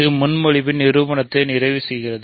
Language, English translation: Tamil, So, this completes the proof of the proposition